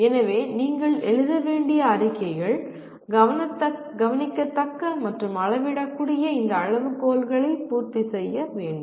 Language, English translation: Tamil, So the statements that you have to make should satisfy this criteria of observability and measurability